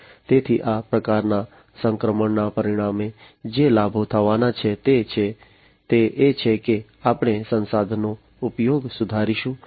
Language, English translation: Gujarati, So, the benefits that are going to be resulting from this kind of transitioning is that we are going to have improved resource utilization